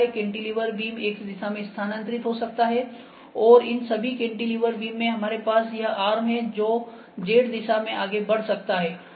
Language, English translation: Hindi, Cantilever beam can move in X direction and all these cantilever beam we have this arm that can move in Z direction